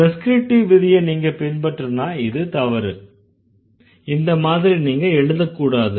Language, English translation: Tamil, However, if you follow the prescriptive rules, they would say no, this is not the way you need to write